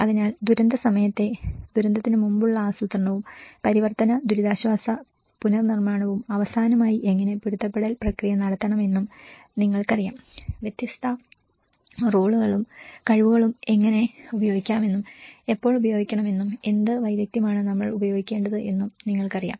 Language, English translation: Malayalam, So the pre disaster planning during disaster and the transition relief and the reconstruction and the last how adaptation process you know, that is how we have understood the different roles and the capacities and how to use and when you know, what expertise we should use